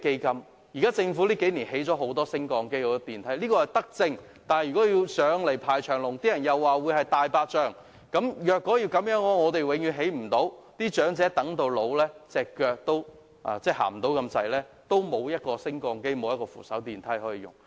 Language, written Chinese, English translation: Cantonese, 近數年，政府設置了很多升降機和電梯，這是德政，但如果乘搭要排長龍，人們又會說是"大白象"工程，這樣，恐怕永遠都不能成事，長者行動不便，仍無升降機或扶手電梯可用。, In the past few years the Government has provided many elevators and escalators which is a good initiative; but if people have to wait in a long queue they would regard the projects as white elephants . As such I am afraid that nothing can be done; no elevators or escalators can be installed to facilitate the elderly people who have mobility problems